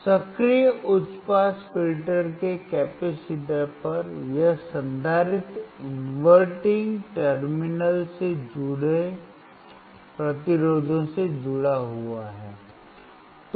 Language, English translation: Hindi, At the capacitors of the active high pass filter, this capacitor is connected to the resistors connected to the inverting terminal